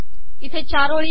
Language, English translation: Marathi, There are four rows